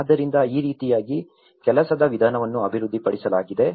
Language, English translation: Kannada, So, this is how the working methodology has been developed